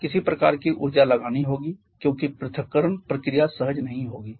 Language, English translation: Hindi, We have to put some kind of energy because the separation process not spontaneous